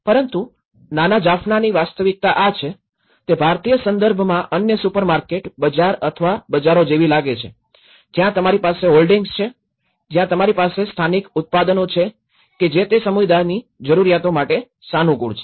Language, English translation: Gujarati, But the little Jaffna where the reality is this, it is looking like any other supermarket, bazaar or a bazaar in an Indian context where you have the hoardings, where you have the localized products, which is suitable for that particular community needs